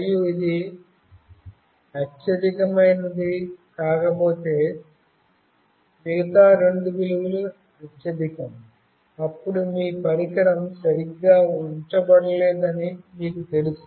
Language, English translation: Telugu, And if it is not the highest, then the other two values are highest, then you know that your device is not properly placed